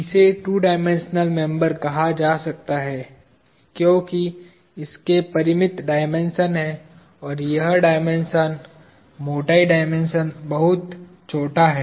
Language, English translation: Hindi, This can be called as two dimensional members, because it has finite dimensions of these, and this dimension, the thickness dimension is very small